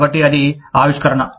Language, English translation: Telugu, So, that is innovation